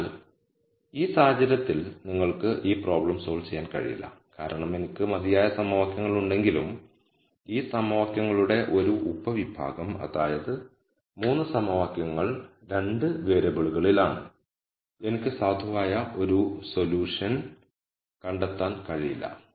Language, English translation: Malayalam, So, in this case you cannot solve this problem it is infeasible because though I have enough equations a subset of these equations 3 equations are in 2 variables and I cannot nd a valid solution